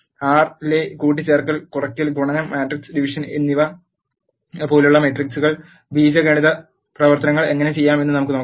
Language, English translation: Malayalam, Now, let us see how to do algebraic operations on matrices such as addition, subtraction, multiplication and matrix division in R